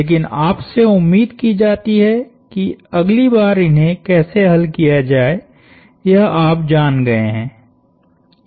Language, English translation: Hindi, But you are anticipated to know how to solve these for the next time